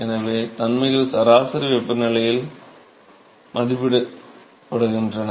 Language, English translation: Tamil, So, the properties are evaluated at mean temperature